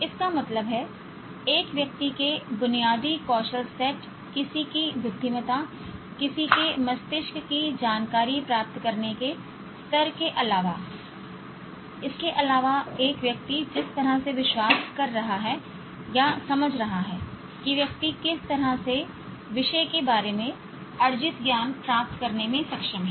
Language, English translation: Hindi, This means apart from one's basic skill set, one's intelligence, one's brains level of acquiring information, apart from this, the way a person is believing or understanding as how the person is able to gain, acquire knowledge about a subject